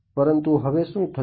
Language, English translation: Gujarati, But now what happens